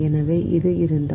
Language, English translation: Tamil, right, so it is